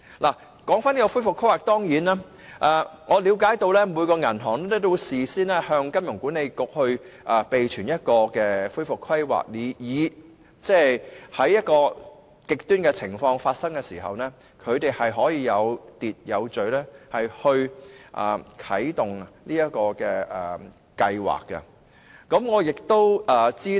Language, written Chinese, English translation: Cantonese, 有關恢復規劃方面，據了解，每一間銀行均須事先向香港金融管理局備存一個恢復規劃方案，以便在出現極端情況時，可以有秩序地啟動有關計劃。, With regard to recovery planning I understand that each back has to submit a recovery plan to the Hong Kong Monetary Authority HKMA so that in the event of an extreme condition the recovery plans can be activated in an overly manner